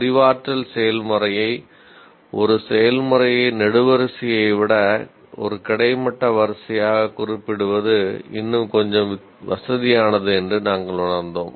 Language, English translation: Tamil, It is just we felt it is a little more convenient to represent the cognitive process as a row rather than the column